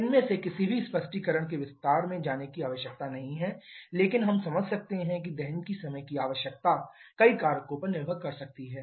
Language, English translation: Hindi, There is no need to go into the detail of any of these explanations but we can understand that the time requirement for combustion can depend on several factors